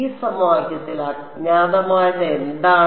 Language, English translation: Malayalam, What is the unknown in this equation